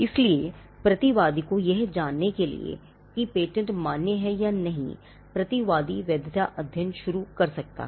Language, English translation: Hindi, So, for the defendant to know whether the patent is valid or not, the defendant could initiate a validity study